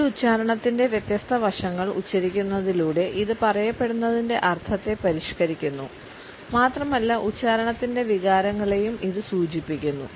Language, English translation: Malayalam, And by accenting different aspects of an utterance it modifies the meaning of what is said and can be a major indication of feelings etcetera